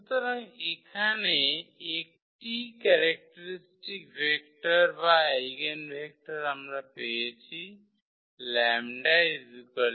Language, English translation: Bengali, So, here the one characteristic vector or the eigenvector we got corresponding to lambda 1 is equal to 0